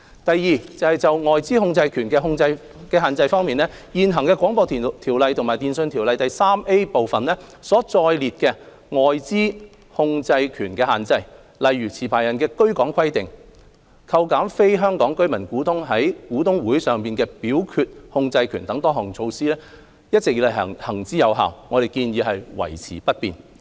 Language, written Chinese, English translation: Cantonese, 第二，就"外資控制權的限制"方面，現行《廣播條例》和《電訊條例》第 3A 部所載列的外資控制權限制，例如持牌人的居港規定、扣減非香港居民股東在股東大會上的表決控制權等多項措施，一直以來行之有效，我們建議維持不變。, Secondly in respect of foreign control restrictions various measures pertaining to foreign control restrictions embodied in the existing BO and Part 3A of TO such as the residency requirement on a licensee and attenuation of voting control exercised by non - Hong Kong resident shareholders at general meetings have all along been implemented effectively